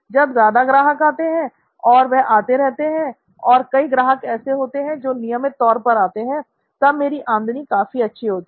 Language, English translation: Hindi, So when we have many customer visits, if they keep coming, and there are many of them, many of the customers who are coming in regularly, then my revenue is very high